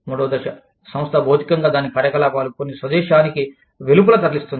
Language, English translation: Telugu, Stage three, the firm physically move, some of its operations, outside the home country